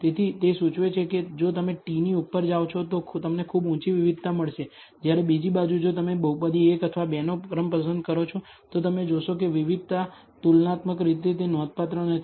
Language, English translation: Gujarati, So, it indicates that if you over t, you will get a very high variability whereas on the other hand if you choose order of the polynomial 1 or 2 you will find that the variability is not that significant comparatively